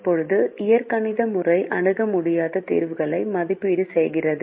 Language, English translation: Tamil, now the algebraic method evaluates infeasible solutions